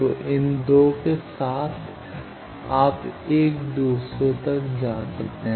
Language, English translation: Hindi, So, with these 2 you can go from 1 to others